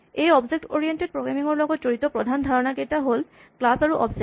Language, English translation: Assamese, In the terminology of object oriented programming there are two important concepts; Classes and Objects